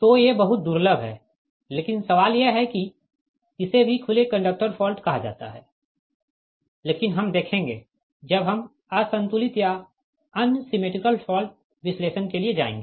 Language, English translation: Hindi, but question is that that is also called open conductor, your fault, but that we will see when we will go for unbalanced or unsymmetrical fault analysis